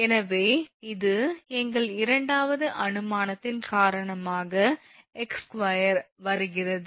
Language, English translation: Tamil, So, and this is x by 2 is coming because of our second assumption